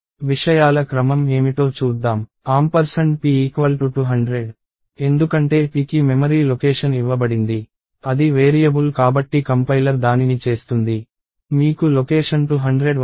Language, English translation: Telugu, So, let us see what the sequence of things are, ampersand of p is 200, because p is given a memory location, compiler will do that because it is a variable, you will get location 200